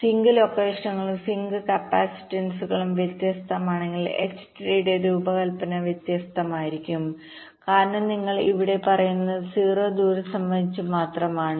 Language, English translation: Malayalam, also, if the sink locations and sink capacitances are vary[ing], then the design of the h tree will be different, because here you are saying exact zero skew only with respect to the distances